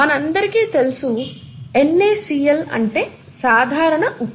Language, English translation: Telugu, As we all know common salt is NaCl, okay